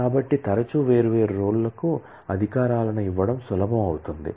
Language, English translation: Telugu, So, often times it becomes easier to grant privileges to different roles